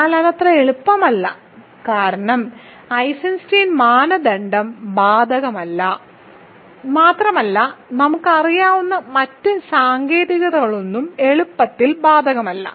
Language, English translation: Malayalam, But that is not that easy because Eisenstein criterion does not apply and none of the other techniques that we know apply easily